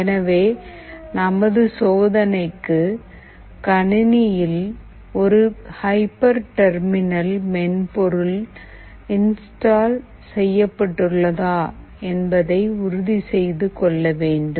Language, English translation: Tamil, So for our experiment, it is required to ensure that there is a hyper terminal installed in the computer